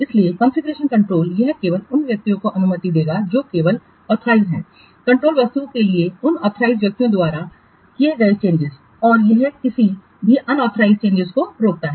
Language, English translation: Hindi, So the configuration control, it will allow only those persons, only authorized changes made by those authorized persons to the control objects and it prevents any unauthorized changes